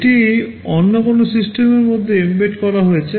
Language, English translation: Bengali, It is embedded inside some other system